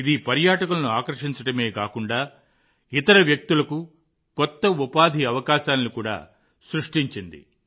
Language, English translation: Telugu, This has not only increased the attraction of tourists; it has also created new employment opportunities for other people